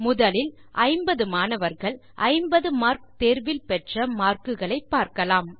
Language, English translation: Tamil, First we will use the marks of 50 students in a 50 mark test